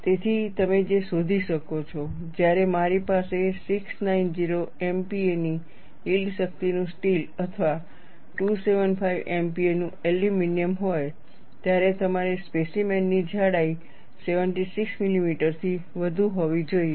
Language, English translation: Gujarati, So, what you find is, when I have steel of yield strength of 690 MPa or aluminum of 275 MPa, you need a specimen, thickness should be greater than 76 millimeter